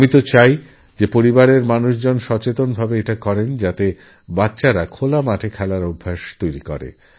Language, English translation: Bengali, I would like the family to consciously try to inculcate in children the habit of playing in open grounds